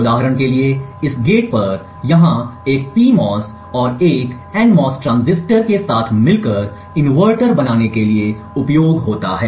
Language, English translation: Hindi, Like for instance this gate over here uses a PMOS and an NMOS transistor coupled together to form an inverter